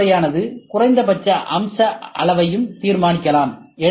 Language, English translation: Tamil, The mechanism may also determine the minimum feature size as well